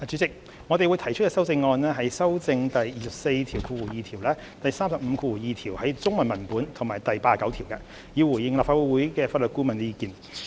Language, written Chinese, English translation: Cantonese, 代理主席，我們將會提出修正案，以修正第242條、第352條的中文文本及第89條，以回應立法會法律顧問的意見。, Deputy Chairman we will propose amendments to amend clause 242 the Chinese text of clause 352 and clause 89 in response to the views of the Legal Advisor to the Legislative Council